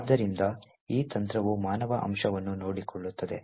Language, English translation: Kannada, So, this technique also takes care of human factor as well